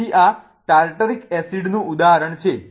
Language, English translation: Gujarati, So, this is the example of Tartaric acid